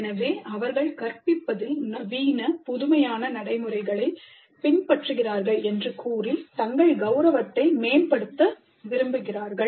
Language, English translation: Tamil, So they would like to enhance their prestige by claiming that they are adopting modern innovative practices to teaching